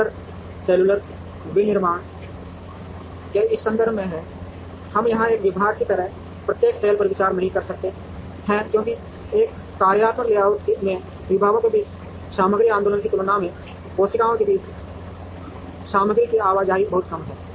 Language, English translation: Hindi, The difference is in this context of cellular manufacturing, we do not consider each cell like a department here because material movement among the cells is far minimal compared to the material movement, among the departments in a functional layout